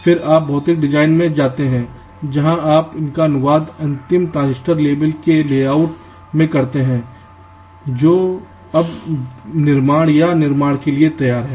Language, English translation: Hindi, then you go into something called physical design, where you translate these into the final transistor level layout which is now ready for fabrication or manufacturing